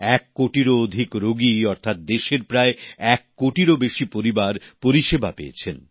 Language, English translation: Bengali, More than one crore patients implies that more than one crore families of our country have been served